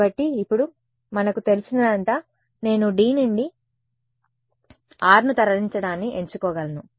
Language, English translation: Telugu, So, this all we know now I can choose to move r out of D right